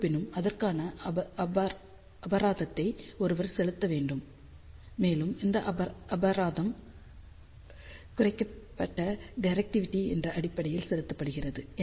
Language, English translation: Tamil, However, 1 has to pay the penalty for that and that penalty is paid in terms of reduced directivity